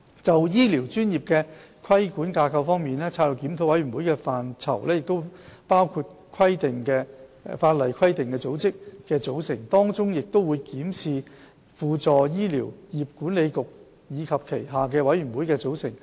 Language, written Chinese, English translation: Cantonese, 就醫療專業的規管架構方面，策略檢討的範疇包括法定規管組織的組成，當中亦會檢視輔助醫療業管理局及其轄下的委員會的組成。, On regulatory regimes for health care professions the Review covers the composition of the statutory regulatory bodies including that of the Council and its boards